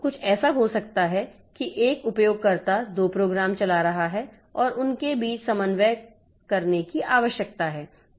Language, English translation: Hindi, So, some, so what it may so happen that the one user is running two programs and these two programs they need to coordinate between them